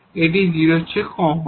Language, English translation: Bengali, So, we have the 0